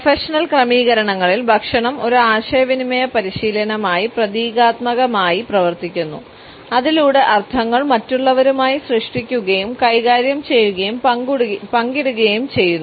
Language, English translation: Malayalam, In the professional settings food function symbolically as a communicative practice by which we create, manage and share our meanings with others